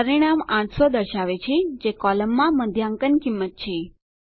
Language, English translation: Gujarati, The result shows 800, which is the median cost in the column